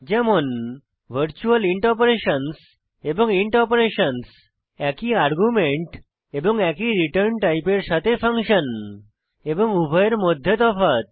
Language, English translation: Bengali, virtual int operations () and int operations () functions with the same argument and same return type and difference between both